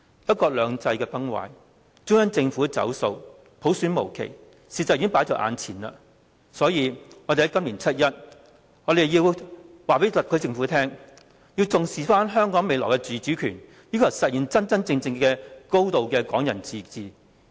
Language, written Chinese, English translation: Cantonese, "一國兩制"崩壞，中央政府"走數"，普選無期，事實已經放在眼前，所以我們在今年七一要告訴特區政府，要重視香港未來的自主權，要求實現真正的"港人高度自治"。, One country two systems is crumbling the Central Government has reneged on its pledges and the implementation of universal suffrage has been put off indefinitely . As the facts are already laid before us we have to tell the SAR Government on 1 July this year that we attach importance to the autonomy of Hong Kong in the future and we demand the implementation of a genuine high degree of autonomy for Hong Kong people